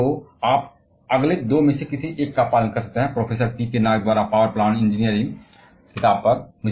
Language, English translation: Hindi, So, you can follow either of the next two, the book on power planning engineering by professor P K Nag